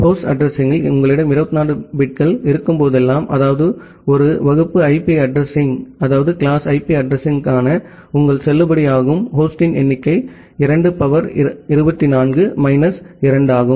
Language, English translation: Tamil, Whenever you have 24 bits in the host address, that means, your number of valid host for a class A IP address is 2 to the power 24 minus 2